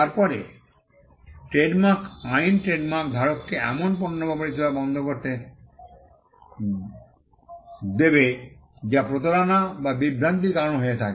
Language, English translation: Bengali, Then the trademark law will allow the trademark holder to stop the goods or services that are causing the deception or the confusion